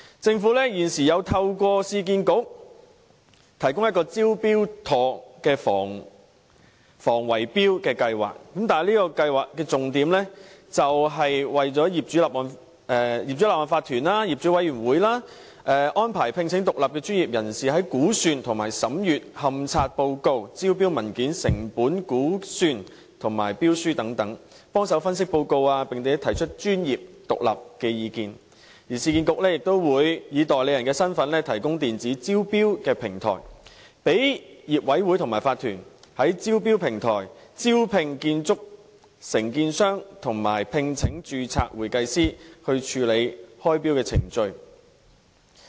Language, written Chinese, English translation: Cantonese, 政府現時透過市區重建局提供"招標妥"的防止圍標計劃，這計劃的重點是為法團及業主委員會安排聘請獨立專業人士，在估算和審閱勘察報告、招標文件、成本估算及標書分析報告方面提供協助，並提出專業獨立的意見，而市建局也會以代理人身份提供電子招標平台，讓業委會或法團在招標平台招聘建築承建商及聘請註冊會計師，以處理開標程序。, The Government has through the Urban Renewal Authority URA put in place the Smart Tender scheme for the prevention of bid - rigging . The scheme mainly aims to arrange independent professionals for OCs and owners committees . The independent professionals will provide assistance in respect of the estimate comments on the condition survey report tender documents cost estimate and tender analysis report and will also provide independent professional advice